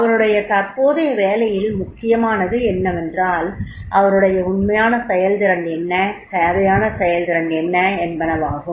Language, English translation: Tamil, Now in the present job what is important is what is his actual performance and what is the required performance is there